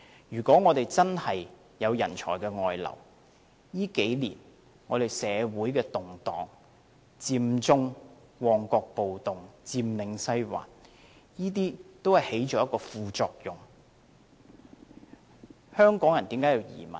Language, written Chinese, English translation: Cantonese, 如果我們真的有人才外流的情況，這數年間，社會的動盪，佔中、旺角暴動、佔領西環，都在一定程度上導致了這個問題。, If there is truly a brain drain in these few years social turmoil Occupy Central the Mong Kok riot and Occupy Sai Wan have all contributed to the problem to some extent